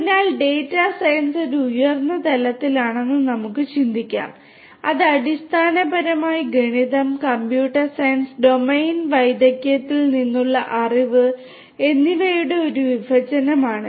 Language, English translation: Malayalam, So, we can think of you know data science to be at a higher level which is convergent, which is basically an intersection of the disciplines of mathematics, computer science and also the knowledge from the domain the domain expertise